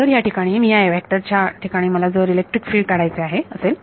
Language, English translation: Marathi, So, if I want to find the electric field at this vector over here